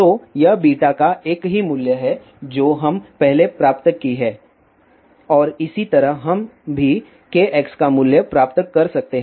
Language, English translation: Hindi, So, this is the same value of beta which we have derived earlier and similarly we can derive the value of k x also